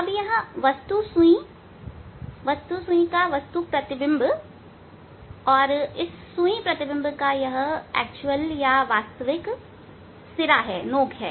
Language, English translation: Hindi, Now this object needle, object image of the object needle and the real this tip of these image needle